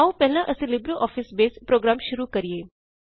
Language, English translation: Punjabi, Let us first invoke the LibreOffice Base program